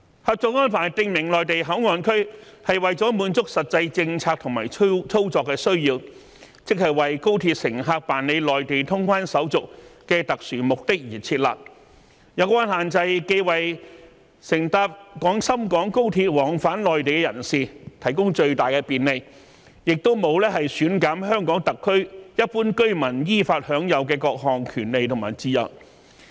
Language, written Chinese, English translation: Cantonese, 《合作安排》訂明內地口岸區為了滿足實際政策和操作的需要，即為高鐵乘客辦理內地通關手續的特殊目的而設立，有關限制既為乘搭廣深港高鐵往返內地的人士提供最大的便利，亦沒有減損香港特區一般居民依法享有的各項權利和自由。, The Co - operation Arrangement also stated that the Mainland Port Area was set up to meet the actual policy and operational needs that is to achieve the specific purposes of conducting Mainlands customs clearance formalities for Express Rail Link passengers . The relevant restrictions would provide great convenience to passengers taking the trains of the Guangzhou - Shenzhen - Hong Kong Express Rail Link to travel between Hong Kong and the Mainland while maintaining the lawfully guaranteed rights and freedoms of Hong Kong SAR residents